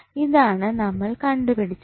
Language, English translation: Malayalam, So, this is we have got